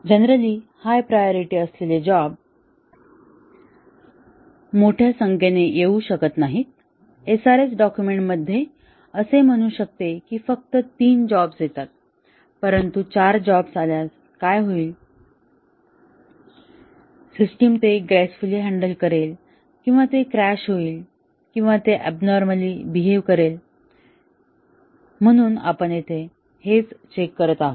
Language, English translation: Marathi, Normally, a large number of high priority jobs may not arrive; the SRS document may say that only 3 arrive, but what happens if 4 arrive, would the system gracefully handle that or would it crash or would it behave abnormally, so that is what we check here